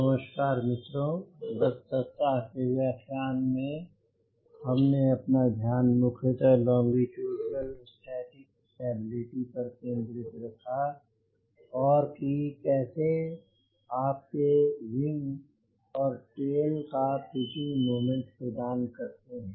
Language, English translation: Hindi, in the last week lecture we mainly focused on longitudinal static stability and how your wing and tail contributed to pitching moment